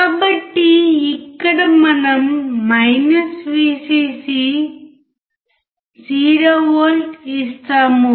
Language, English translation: Telugu, So, here we give Vcc is 0V